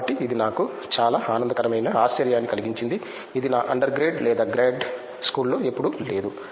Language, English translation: Telugu, So, that was a pleasant surprise for me which I never had in my under grade or grad school